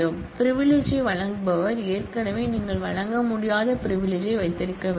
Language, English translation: Tamil, The grantor of the privilege must already hold the privilege that is you cannot grant